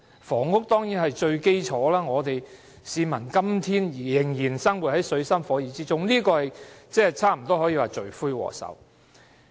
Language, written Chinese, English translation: Cantonese, 房屋當然是最基礎的問題，市民今天之所以仍然生活在水深火熱之中，房屋差不多可說是罪魁禍首。, Housing is definitely a fundamental concern which can be regarded as the culprit of all the plights faced by the public today